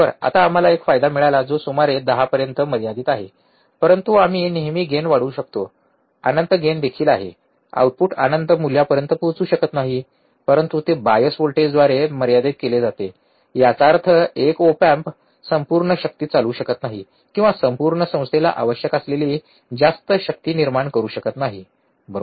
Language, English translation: Marathi, Now we had a gain which is limited about 10, but we can always increase the gain, even there is infinite gain, the output cannot reach to infinite value, but it is limited by the bias voltage; that means, that one op amp cannot run the whole power or cannot generate much power that whole institute requires, right